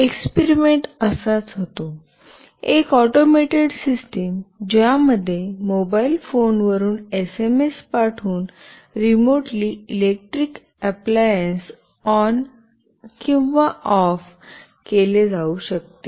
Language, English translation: Marathi, The experiment goes like this; an automated system in which an electric appliance can be turned on or off remotely by sending a SMS from a mobile phone